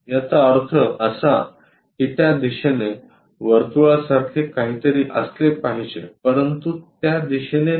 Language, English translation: Marathi, That means, there must be something like circle in that direction, but not in that direction